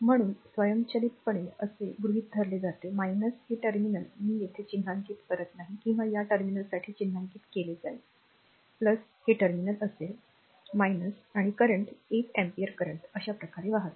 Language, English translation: Marathi, So, automatically as that assume minus this terminal will I am not marking here, or marking for you this terminal will be plus this terminal will be minus and current is 8 ampere current is flowing like this